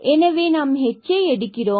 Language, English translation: Tamil, So, we have h square r square